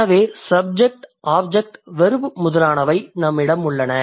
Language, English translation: Tamil, So we have units like subject, we have object and then we have verb